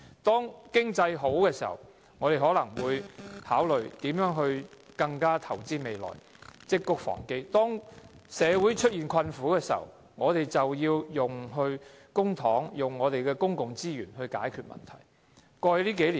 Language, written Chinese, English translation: Cantonese, 當經濟好時，我們應考慮如何投資未來，積穀防飢；當社會出現困苦時，我們便要利用公帑，利用公共資源來解決問題。, When the economy is good we should consider how to invest in the future and store up grain against famine; when the community is in distress we should use public money and public resources to solve the problems